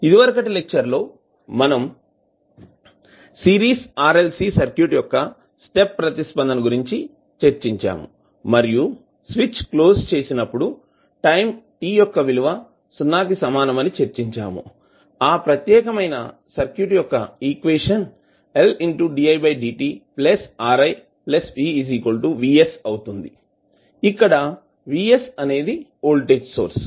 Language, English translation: Telugu, In the last class we discussed about the step response of a Series RLC Circuit and we discussed that at time t is equal to 0 when the switch is closed, the equation for the particular circuit is , where the Vs is the voltage source